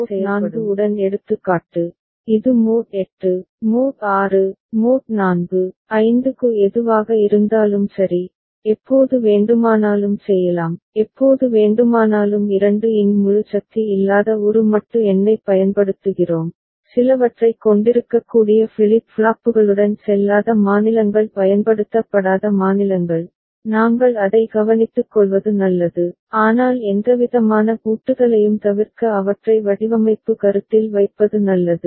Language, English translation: Tamil, So, these are example with mod 4, it can be done for mod 8, mod 6, mod 4, 5 whatever, right and whenever we are using a modulo number which is not integer power of 2, with flip flops that can have some invalid states unused states, it is better that we take care of it, but putting them into the design consideration to avoid any kind of locking